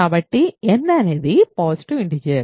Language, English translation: Telugu, So, n is a positive integer